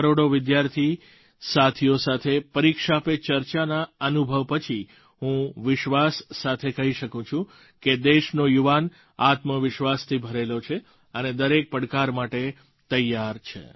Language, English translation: Gujarati, After my experience with millions of students of the country through the platform of 'Pariksha Pe Charcha', I can say with confidence that the youth of the country is brimming with selfconfidence and is ready to face every challenge